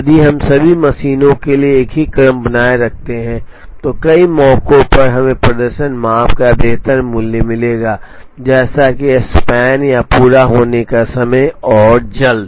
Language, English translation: Hindi, If we retain the same sequence for all the machines, on many occasions we would get better value of the performance measure, such as make span or completion time and so on